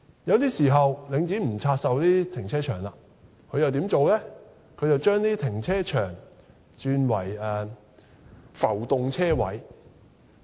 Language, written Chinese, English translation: Cantonese, 有時候，領展不拆售停車場，而是把停車場轉為浮動車位。, Sometimes Link REIT did not divest the car parks but turned the parking spaces in them into floating ones